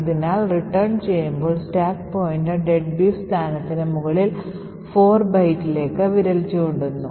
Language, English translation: Malayalam, Therefore, at the time of return the stack pointer is pointing to 4 bytes above the deadbeef location